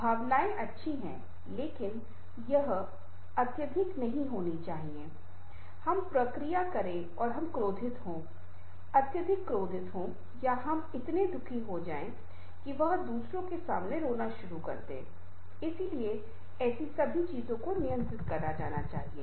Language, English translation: Hindi, so emotions are good, but it should not be excessive that we react and we become angry, excessive angry or we become so sad that it starts crying in front of others